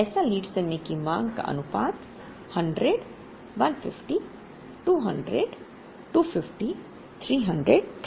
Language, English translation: Hindi, So, the proportion of times the lead time demand was 100, 150,200, 250, 300